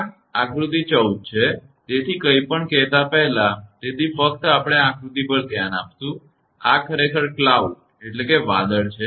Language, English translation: Gujarati, This is figure 14; so, before telling anything; so, just we will look at the figure; this is actually cloud